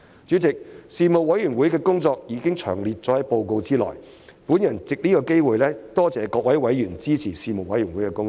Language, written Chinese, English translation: Cantonese, 主席，事務委員會的工作已詳列於報告內，我藉此機會多謝各位委員支持事務委員會的工作。, President the work of the Panel has been set out in detail in the report . I would like to take this opportunity to thank members for supporting the work of the Panel